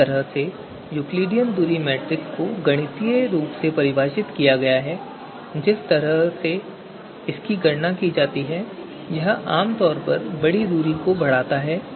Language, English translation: Hindi, So the way Euclidean distance metric is defined mathematically the way it is done, the way computations are done it typically magnifies large distances